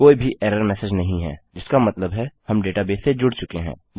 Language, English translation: Hindi, No error message, which means we are connected to the database